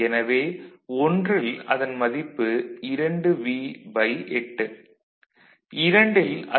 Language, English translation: Tamil, So, this is V by 8, 2 V by 8, 3 V by 8